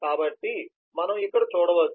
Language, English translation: Telugu, so you can see here